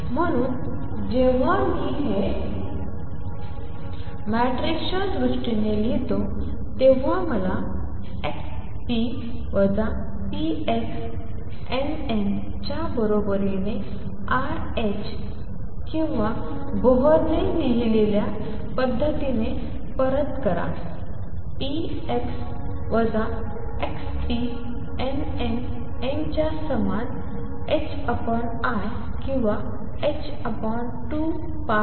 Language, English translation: Marathi, Therefore, when I write this in terms of matrices i get x p minus p x n, n equals i h cross or return the way Bohr wrote it p x minus x p n n equals h cross over i or h over 2 pi i